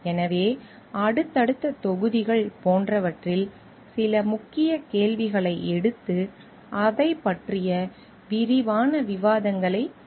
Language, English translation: Tamil, So, in the subsequent like modules, we are going to take up certain key questions and do detailed discussions about it